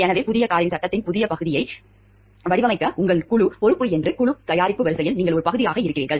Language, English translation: Tamil, So, you are a part of that team product lines your team is responsible for designing part of the frame of the new car